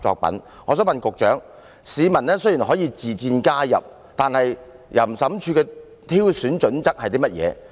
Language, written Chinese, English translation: Cantonese, 我想請問局長，雖然市民可以自薦加入成為審裁委員，但審裁處的挑選準則為何？, May I ask the Secretary the criteria of OAT for selecting adjudicators even though members of the public may volunteer to become an adjudicator?